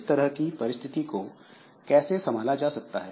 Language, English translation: Hindi, Now, that type of situation how to handle